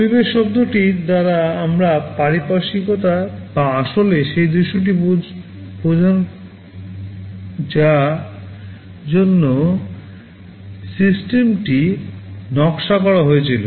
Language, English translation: Bengali, By the term environment we mean the surroundings or actually the scenario for which the system was designed